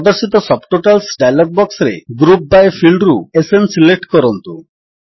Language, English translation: Odia, In the Subtotals dialog box that appears, from the Group by field, let us select SN